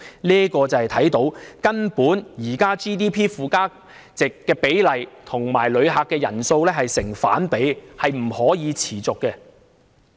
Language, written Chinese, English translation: Cantonese, 由此可見，現時旅遊業附加值佔 GDP 的比例與旅客人數根本成反比，是不能持續的。, This shows that the value added contribution of the tourism industry to GDP is inversely proportional to the number of visitor arrivals and it is not sustainable